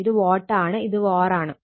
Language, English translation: Malayalam, This is watt; this var I told you